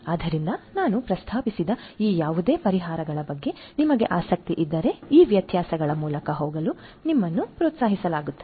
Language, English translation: Kannada, So, if you are interested about any of these solutions that I just mentioned you are encouraged to go through these differences